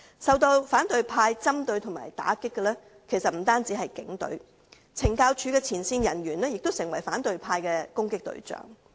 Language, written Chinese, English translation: Cantonese, 受到反對派針對和打擊的其實不單是警隊，懲教署的前線人員亦成為反對派的攻擊對象。, The Police Force is not the only one being targeted and attacked by the opposition camp . Frontline officers of the Correctional Services Department CSD have also become the targets of attack by the opposition camp